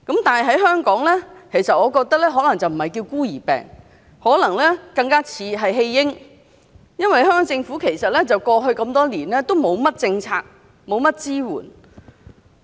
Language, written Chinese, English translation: Cantonese, 但是，我覺得在香港不應該叫"孤兒病"，更像"廢嬰"，因為香港政府過去這麼多年都沒有制訂甚麼政策，也沒有給予甚麼支援。, I do not think we should call them Orphans diseases in Hong Kong . It is better to call rare diseases as Abandoned infants diseases because the Government has no policy nor support for these patients over the past years